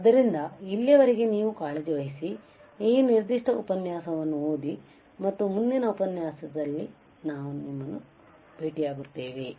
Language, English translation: Kannada, So, till then you take care; read this particular lecture, and I will see you in the next lecture